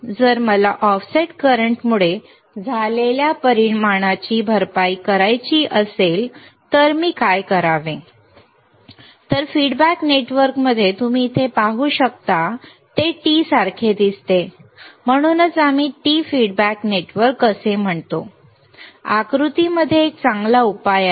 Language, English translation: Marathi, So, if I want to compensate the effect of due to the offset current what should I do, then the feedback network right here you can see here it looks like a T right it looks like a T that is why we say t feedback network shown in the figure is a good solution